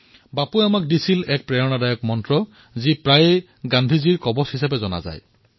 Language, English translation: Assamese, Bapu gave an inspirational mantra to all of us which is known as Gandhiji's Talisman